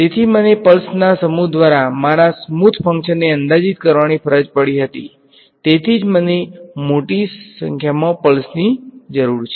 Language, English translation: Gujarati, So, I was forced to approximate my smooth function by set of pulses that is why I need large number of pulses right